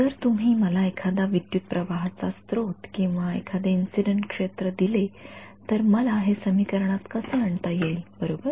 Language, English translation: Marathi, If you give me a current source or an incident field, how do I actually get this into the equation right